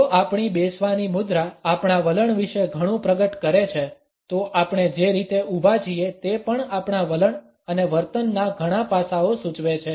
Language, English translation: Gujarati, If our sitting posture reveals a lot about our attitudes, the way we stand also indicates several aspects of our attitudes and behaviour